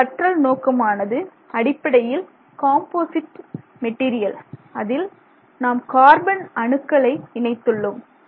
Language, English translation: Tamil, Our system of interest is basically a composite material in which we have added carbon nanotubes